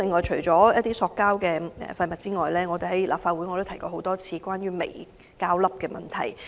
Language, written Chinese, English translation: Cantonese, 除塑膠廢物外，我已多次在立法會會議上提及有關微膠粒的問題。, Apart from the issue of plastic waste I have repeatedly brought up the issue of microplastics in the Council meetings